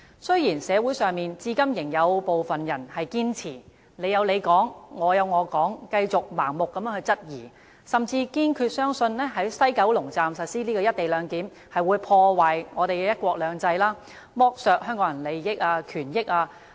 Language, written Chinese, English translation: Cantonese, 雖然社會上至今仍有部分人堅持"你有你講，我有我講"，繼續盲目質疑，甚至堅信在西九龍站實施"一地兩檢"便會破壞香港的"一國兩制"，剝奪香港人的利益和權益。, Even to this day some people in society still insist on saying whatever they like with total disregard for the opinions of others clinging on to their blind scepticism and holding fast to even the conviction that the implementation of co - location arrangement at WKS means undermining the principle of one country two systems of Hong Kong and stripping Hong Kong people of their interests and rights